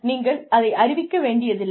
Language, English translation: Tamil, You do not have to declare it